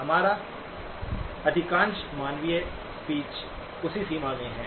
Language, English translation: Hindi, Most of our human speech is in that range